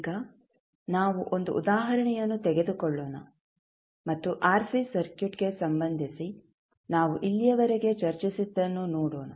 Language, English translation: Kannada, So now, let us take 1 example and let us what we discussed till now related to RC circuit